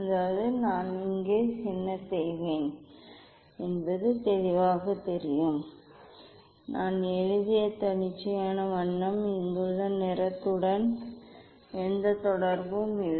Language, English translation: Tamil, that is that will be clear what I will do here, just arbitrary colour I have written is nothing to do with the colour here